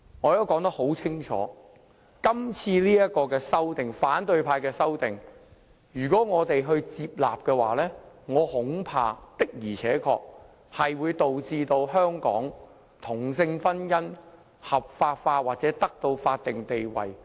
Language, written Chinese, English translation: Cantonese, 我已說得很清楚，如果我們接納今次反對派提出的修正案，我恐怕確實會導致同性婚姻在香港合法化或得到法定地位。, I have clearly expressed my concern that if we accept the amendments proposed by the opposition camp this time around it will indeed legalize or confer a statutory status on same - sex marriage in Hong Kong as a result